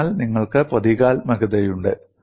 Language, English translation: Malayalam, So, you have the symbolism